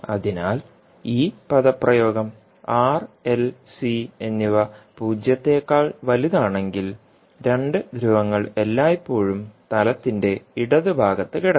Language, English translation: Malayalam, So now if you see this particular expression for r l and c greater than zero two poles will always lie in the left half of s plain